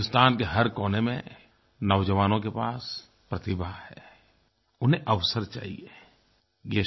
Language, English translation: Hindi, The Indian youth all over the country has talent, all they need is opportunities